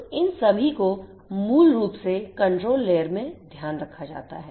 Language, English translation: Hindi, So, all of these basically are taken care of in this particular layer the control layer